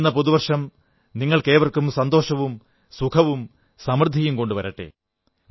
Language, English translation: Malayalam, May the New Year bring greater happiness, glad tidings and prosperity for all of you